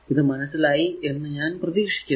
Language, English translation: Malayalam, So, I hope it is understandable to you right